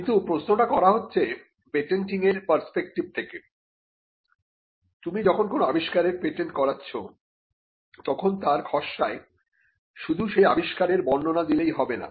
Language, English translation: Bengali, But the question is from a patenting perspective, when you patent an invention, the object of patent drafting is not to simply describe the invention